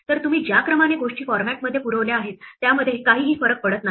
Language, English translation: Marathi, So, the order in which you supply the things to format does not matter